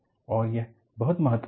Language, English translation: Hindi, And, this is very important